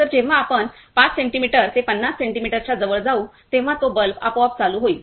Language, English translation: Marathi, So, when we go closer between 5 centimetre to 50 centimetre, it will automatically turn on the bulb